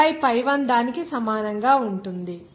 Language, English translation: Telugu, pi that will equal to 0